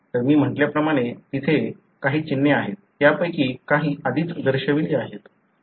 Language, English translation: Marathi, So, there are symbols as I said; some of them are already shown